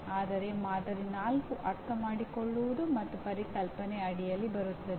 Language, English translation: Kannada, Whereas the sample 4 comes under Understand and Conceptual, okay